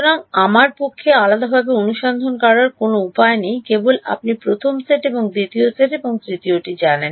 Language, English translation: Bengali, So, there is no way for me to separately find out just you know first set and second set and third